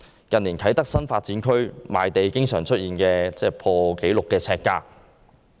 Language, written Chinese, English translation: Cantonese, 近年，啟德新發展區賣地經常出現破紀錄呎價。, The sales of sites in Kai Tak Development Area in recent years have often fetched record high prices per square foot